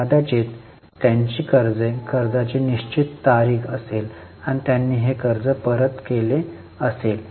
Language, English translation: Marathi, Maybe their loans, there was a due date of loan and they have repaid the loan